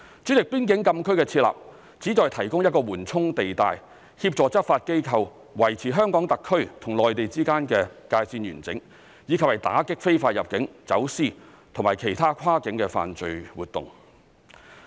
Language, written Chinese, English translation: Cantonese, 主席，邊境禁區的設立旨在提供一個緩衝地帶，協助執法機構維持香港特區與內地之間的界線完整，以及打擊非法入境、走私及其他跨境的犯罪活動。, President closed areas have been established to provide a buffer zone to assist law enforcement agencies in keeping the boundary between HKSAR and the Mainland intact and to combat illegal immigration smuggling and other cross - boundary criminal activities